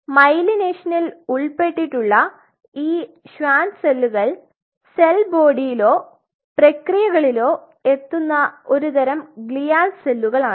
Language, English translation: Malayalam, So, these Schwann cells which are involved in myelination these are type of glial cells they will arrive along the cell body or along the processes